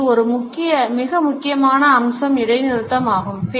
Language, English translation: Tamil, A very important aspect which is related with our paralinguistic features is pause